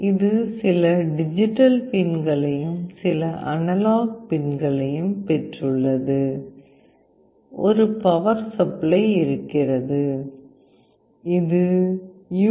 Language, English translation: Tamil, It has got some digital pins, some analog pins, there is a power, this is the USB connection through which you can connect through USB port